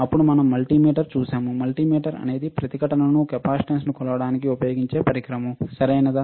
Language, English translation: Telugu, Then we have seen multimeter; multimeter is a device that can be used to measure resistance, capacitance, right